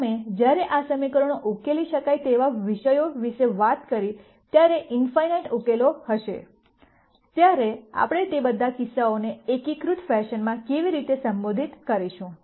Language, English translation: Gujarati, We talked about when these equations are solvable when there will be in nite number of solutions, how do we address all of those cases in a unified fashion and so on